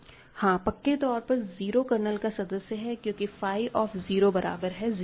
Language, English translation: Hindi, Certainly 0 is in the kernel because phi of 0 is 0